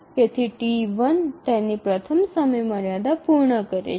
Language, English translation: Gujarati, Therefore, T1 meets its first deadline